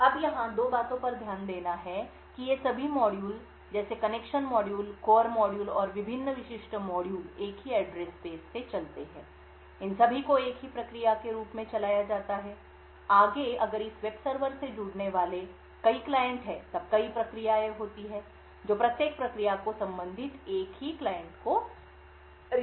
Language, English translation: Hindi, Now two things to note over here is that all of these modules like the connection module, the core modules and the various other specific modules run from a single address space, that is all of them run as a single process, further if we have multiple clients connecting to this web server then there are multiple processes which responds each process amping a single corresponding client